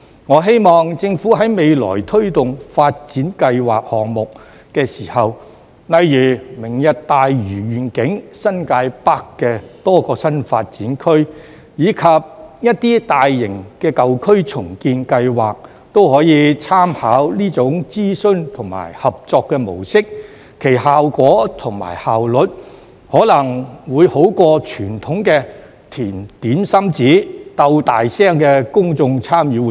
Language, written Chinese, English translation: Cantonese, 我希望政府未來推動發展計劃項目時，例如"明日大嶼願景"、新界北的多個新發展區，以及一些大型的舊區重建計劃，也可以參考這種諮詢和合作模式，其效果和效率可能會勝於較傳統的"填點心紙"、"鬥大聲"的公眾參與活動。, I hope when the Government promotes development projects in the future such as Lantau Tomorrow Vision various new development areas in the New Territories North and large - scale renewal projects in old districts it can make reference to this mode of consultation and cooperation . This may be more effective and efficient than the more traditional public engagement activities that see participants filling questionnaires and scrambling to speak louder